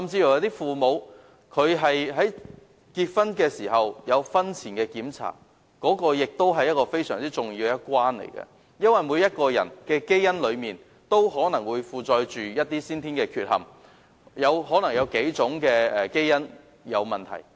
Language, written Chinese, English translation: Cantonese, 有父母甚至會在結婚前進行婚前檢查，這是非常重要的一關，因為每個人的基因可能有先天缺憾，可能是數組基因有問題。, Some parents even receive premarital medical examinations before marriage . This is a very important step because there may be congenital defects in everybodys genes and problems with several groups of genes